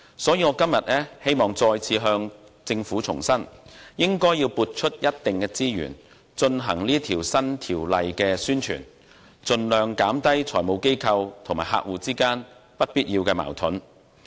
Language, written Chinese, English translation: Cantonese, 所以，我今天再次向政府重申，應撥出一定資源為經修訂的《稅務條例》進行宣傳，盡量減低財務機構與客戶之間不必要的矛盾。, So today I must reiterate that the Government should allocate a certain amount of resources to publicize the amended IRO so as to minimize any unnecessary conflicts between FIs and their clients